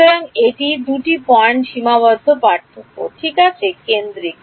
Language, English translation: Bengali, So, it is centered two point finite difference ok